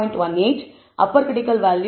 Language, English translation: Tamil, 18, the upper critical values 2